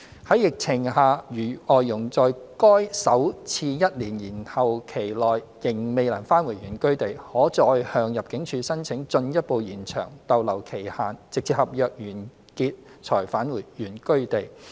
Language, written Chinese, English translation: Cantonese, 在疫情下，如外傭在該首次一年延後期內仍未能返回原居地，可再向入境處申請進一步延長逗留期限直至合約完結才返回原居地。, During the pandemic if an FDH is still unable to return to hisher place of origin within the first one - year deferral heshe may apply to ImmD again for a further extension of limit of stay until the end of the contract before returning to hisher place of origin